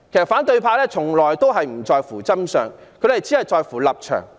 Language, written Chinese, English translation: Cantonese, 反對派從來不在乎真相，只在乎立場。, The opposition camp has all along cared about political stance only not the truth